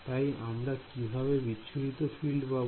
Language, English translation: Bengali, So, how to get the scattered field